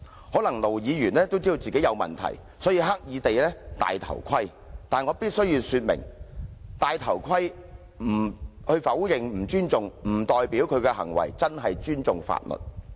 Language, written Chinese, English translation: Cantonese, 可能盧議員也知道自己有問題，所以刻意"戴頭盔"。但我必須說明，"戴頭盔"否認不尊重，並不代表他的行為真正尊重法律。, Perhaps Ir Dr LO is also well aware that he has not made the right move so he has deliberately acted chicken but I must say that acting chicken and denying that he is showing disrespect do not mean that he really respects the law